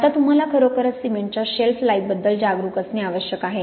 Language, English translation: Marathi, Now what you really have to be aware about is of course the shelf life of cement